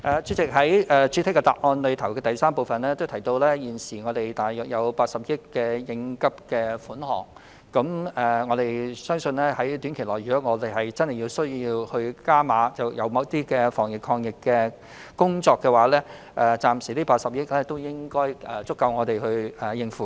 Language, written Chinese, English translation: Cantonese, 主席，正如我在主體答覆的第三部分提到，現時有大約80億元應急款項，我相信如果短期內真的有需要就某些防疫抗疫工作"加碼"，這筆80億元款項應該足夠我們使用。, President as I said in part 3 of the main reply there is an uncommitted contingency of around 8 billion . If there is a genuine need to step up the anti - epidemic efforts I believe the amount of 8 billion will be sufficient for the purpose